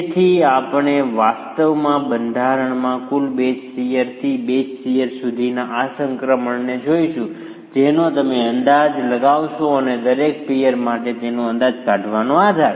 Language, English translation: Gujarati, So, today we will actually be looking at this transition from total base shear in the structure to the base share that you would estimate and the basis to estimate that for each peer